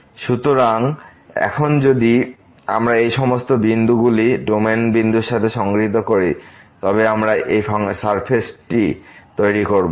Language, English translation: Bengali, So, now if we collect all these points corresponding to the point in the domain, we this surface will be formed